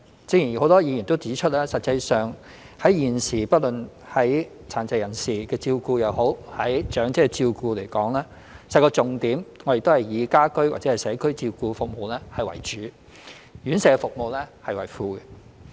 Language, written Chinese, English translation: Cantonese, 正如很多議員均指出，現時不論殘疾人士的照顧、長者的照顧而言，實際上重點皆以"家居/社區照顧服務為主，院舍照顧服務為輔"。, As remarked by a number of Members the key of the current policy on care for persons with disabilities and the elderly is to take homecommunity care services as the core and residential care services as back - up